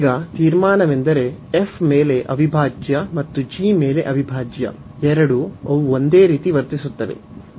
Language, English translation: Kannada, So, now the conclusion is that both integrals integral over f and integral over g, they will behave the same